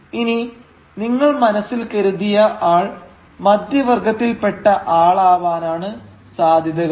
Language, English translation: Malayalam, Now, chances are that the figures that you have thought belongs to the middle class